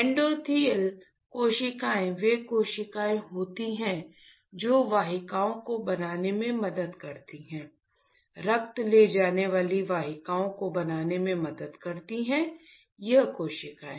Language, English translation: Hindi, Endothelial cells are the cells which helps to form the vessels, to forms the vessels that will carry the blood, this cells